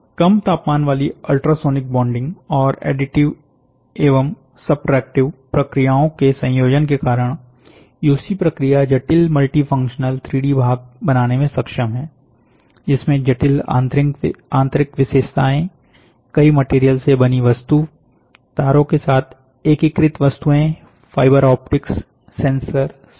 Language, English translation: Hindi, Due to the combination of low temperature ultrasonic bonding, and additive plus subtractive processes the UC process is capable of creating complex, multifunctional 3 D part, including objects with complex internal features, object made from multiple material, and the objects integrated with wiring, fiber optics, sensors and instruments